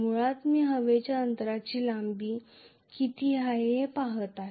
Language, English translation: Marathi, Basically I am looking at what is the length of the air gap